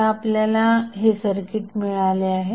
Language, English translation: Marathi, So, you will get circuit like this in this case